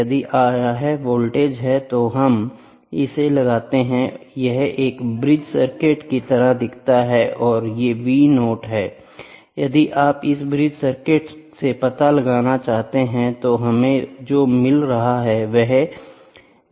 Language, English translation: Hindi, If this is the voltage, we apply and this is how a bridge circuit looks like of it this is V 0 if you want to find out from this bridge circuit, what we get is this is x V